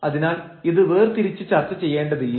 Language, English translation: Malayalam, So, we do not have to discuss this separately